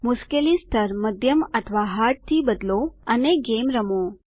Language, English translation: Gujarati, Change the difficulty level to Medium or Hard and play the game